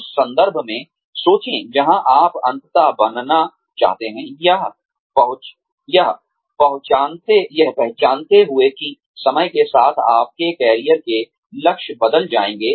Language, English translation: Hindi, Think in terms of, where you ultimately want to be, recognizing that, your career goals will change over time